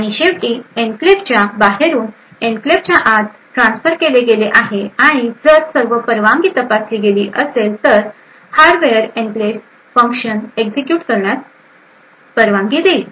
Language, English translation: Marathi, And finally, there is a transfer from outside the enclave to inside the enclave and if all permission have been check are correct the hardware will permit the enclave function to execute